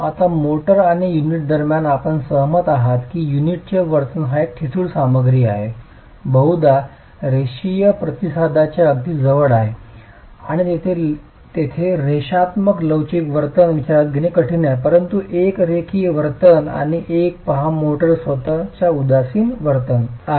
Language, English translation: Marathi, Now between the motor and the unit you will agree that the behavior of the unit is being the brittle material probably closer to a linear response and it is okay to consider a linear elastic behavior there but look at a nonlinear behavior and inelastic behavior of the motor itself